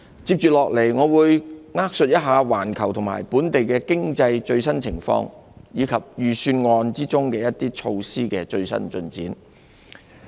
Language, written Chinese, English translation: Cantonese, 接下來，我會扼述一下環球和本地經濟的最新情況，以及預算案中一些措施的最新進展。, Next I will give an overview of the latest economic situation globally and locally and an update on some of the measures in the Budget